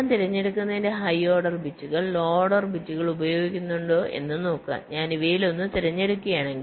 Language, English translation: Malayalam, see, if i use the high order bits of selecting and low order bits if i select one of these